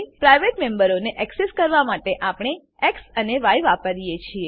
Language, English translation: Gujarati, To access the private members we use x and y